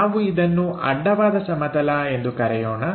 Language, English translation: Kannada, And, this plane what we called horizontal plane